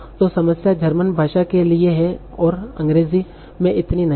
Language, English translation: Hindi, So this problem is there for German, not so much for English